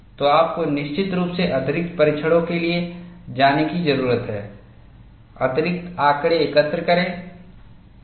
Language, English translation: Hindi, So, you need to definitely go in for additional tests, collect additional data; once you collect data, what you do with it